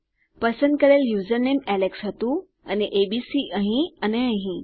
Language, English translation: Gujarati, My username chosen was alex and of course abc here and here